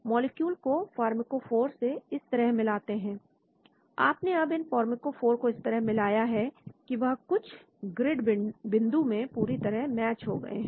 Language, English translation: Hindi, Position molecule to match the pharmacophore like this, you have matched so that now these pharmacophores are matched exactly on some grid points